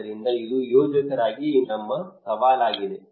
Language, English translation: Kannada, So this is our challenge as a planner right